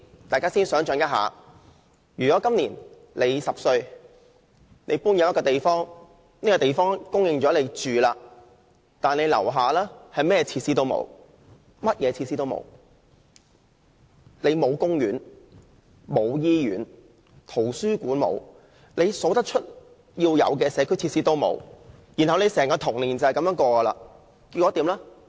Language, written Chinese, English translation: Cantonese, 大家可以想象一下，如果你今年10歲，搬進了一個新的住所，但樓下甚麼設施也沒有，公園、醫院、圖書館和一切社區設施皆欠奉，你的整個童年就是這樣度過。, Imagine that you were a 10 - year - old child who had just moved into a new housing unit where there were no facilities nearby . There was no park no hospital no library or any other community facilities at all . You would be deprived of these facilities all through your childhood